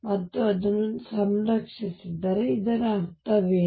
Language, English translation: Kannada, And if it is conserved, what does it mean